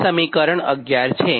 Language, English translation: Gujarati, this is equation eleven